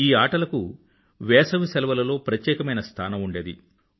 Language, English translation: Telugu, These games used to be a special feature of summer holidays